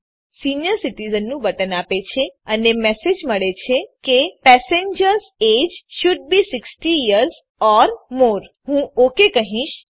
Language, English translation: Gujarati, So it gives us button senior citizen and i get the message That passengers age should be 60 years or more i say okay